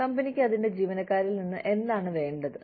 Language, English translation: Malayalam, What is it that, the company needs, from its employees